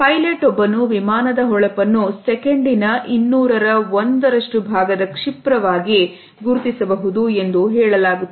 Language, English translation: Kannada, It is said that a train pilot can purportedly identify a plane flashes as briefly as 1/200th of a second